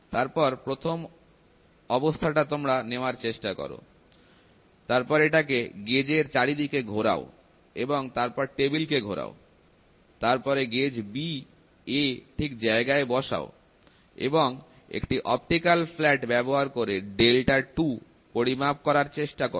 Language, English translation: Bengali, So, you try to take the first position, then you turn it around the gauge and then rotate the table, then place the gauge B A and try to measure the delta 2, using the same optical flat